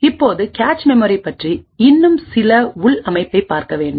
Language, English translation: Tamil, Now, we would have to look at some more internal organization about the cache memory